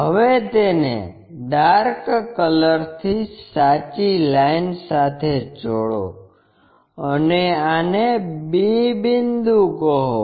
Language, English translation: Gujarati, Now, join that by true line by darker one and call this one b point